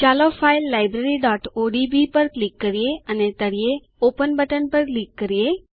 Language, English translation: Gujarati, Lets click on the file Library.odb and click on the Open button at the bottom